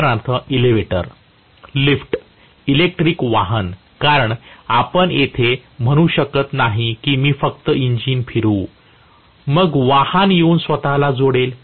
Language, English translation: Marathi, Like for example an elevator, lift, an electric vehicle because you cannot say that I will just rotate the engine then vehicle come and attach itself